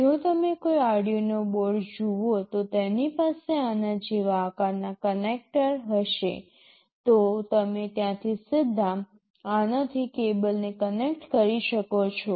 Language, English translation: Gujarati, If you look at an Arduino board they will have a connector with an exact shape like this, you can connect a cable from there directly to this